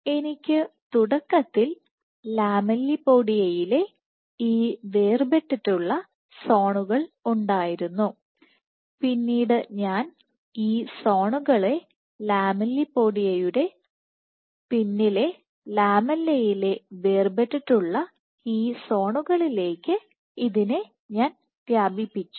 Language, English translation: Malayalam, So, if I have these discretized zones at the beginning in the lamellipodia and then I extend this to these discretized zones right behind the lamella right behind the lamellipodia along in the lamella region